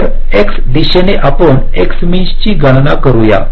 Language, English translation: Marathi, so, along the x direction, you calculate the x mean